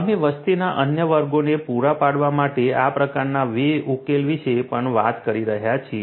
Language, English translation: Gujarati, We are also taking about these kind of solutions for catering to the other segments of the population